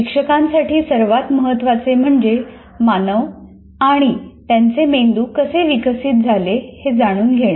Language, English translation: Marathi, So what is more important is for teachers to know how humans and their brains develop